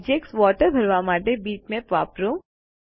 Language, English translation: Gujarati, Let us use bitmaps to fill the object water